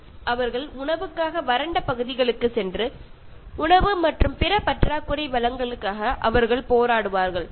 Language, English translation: Tamil, And they will move to dry areas for food and they will fight for food and other scarce resources